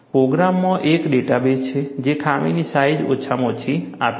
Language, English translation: Gujarati, The program has a database, which provides a minimum flaw sizes